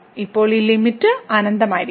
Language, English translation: Malayalam, Then, this limit will be just infinity